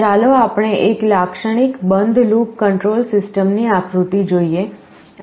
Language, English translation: Gujarati, Let us look at a diagram of a typical closed loop control system